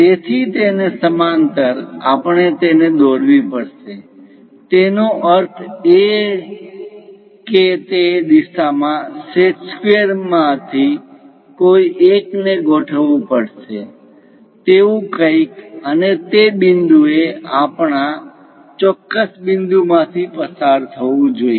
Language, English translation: Gujarati, So, parallel to that, we have to construct it; that means align one of your set squares in that direction, something like that, and the point has to pass through our particular points